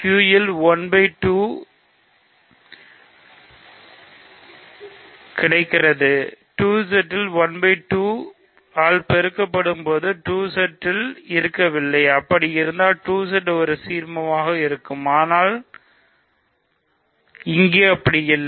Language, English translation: Tamil, So, 1 by 2 is available in Q, so 1 by 2 multiplied by anything in 2Z should be in 2Z, for 2Z to be an ideal, but it is not